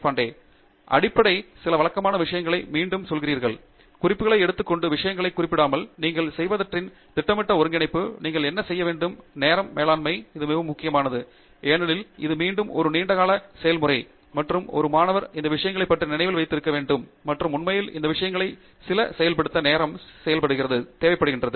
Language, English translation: Tamil, And the basic, again going back to some of the routine, note taking, noting down things, making systematic consolidation of what you have done, what you want to do, time management; there is lot of this that is actually very important because again it is a long term process, and a student must keep on reminding about many of these things, and actually implementing some of these things, as the time goes on